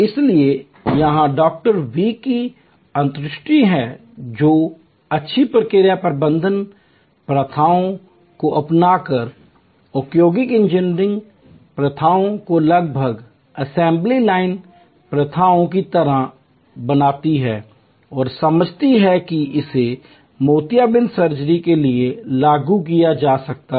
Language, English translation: Hindi, V’s insight by adopting good process management practices, industrial engineering practices almost manufacturing like assembly line practices and understanding that it can be applied to cataract surgery